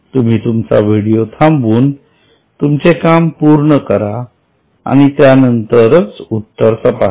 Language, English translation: Marathi, You can pause your video, complete the work and then only look, have a look at the solution